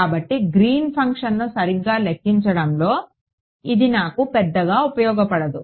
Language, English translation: Telugu, So, this is going to be of not much use for me in calculating the Green’s function right